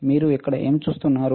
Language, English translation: Telugu, What you see here